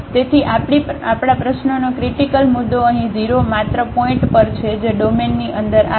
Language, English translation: Gujarati, So, our critical point of the problem here at 0 the only point which falls inside the domain